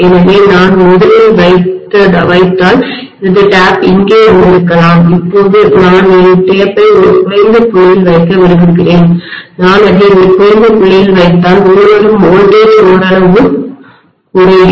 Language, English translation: Tamil, So if I put originally maybe my tap was here, now I might like to put my tap at a lower point, if I put it at a lower point even the incoming voltage is decreased somewhat